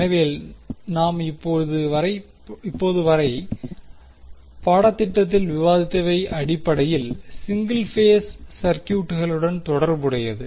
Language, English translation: Tamil, So, till now what we have discussed in our course was basically related to single phase circuits